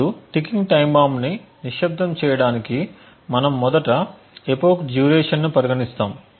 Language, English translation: Telugu, Now in order to silence ticking time bomb what we first assume is something known as an epoch duration